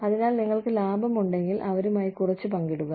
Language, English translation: Malayalam, So, if you make a profit, share a little bit, with them